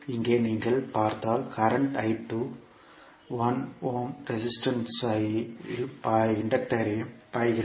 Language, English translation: Tamil, Here if you see the current I2 is flowing 1 ohm resistance as well as the inductor